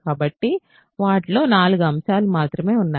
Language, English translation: Telugu, So, let us they have only 4 elements